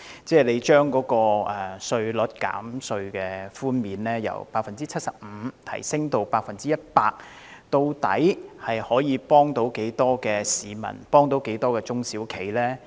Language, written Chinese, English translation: Cantonese, 將稅務寬減比率從 75% 提升至 100%， 究竟可以幫助多少市民和中小型企業？, How many individuals and small and medium enterprises SMEs can exactly be helped by an increase in tax reduction rate from 75 % to 100 % ?